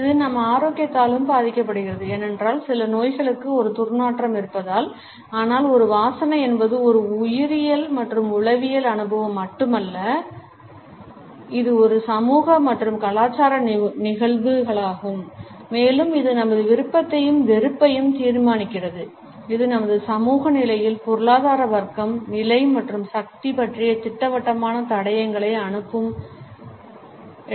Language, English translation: Tamil, It is also influenced by our health because certain illnesses because certain ailments have an odor, but a smell is not just a biological and psychological experience, it is also a social and cultural phenomena and it determines our preference as well as aversions and at the same time it passes on definite clues about our social positions, economic class, status and power